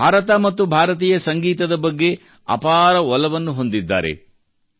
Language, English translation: Kannada, He has a great passion for India and Indian music